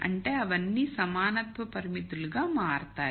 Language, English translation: Telugu, That means, they all become equality constraints